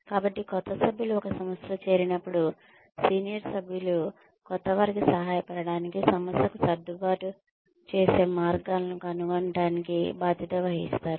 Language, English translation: Telugu, So, when new members join an organization, the senior members are obligated, to help the newcomer, find ways of adjusting to the organization